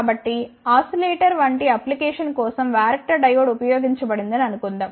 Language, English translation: Telugu, So, suppose if a varactor diode is used for any application like oscillator